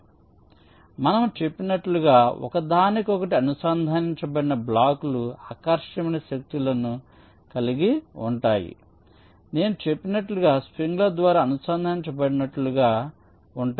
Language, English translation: Telugu, so we are saying that the blocks connected to each other are suppose to exert attractive forces, just like as if they are connected by springs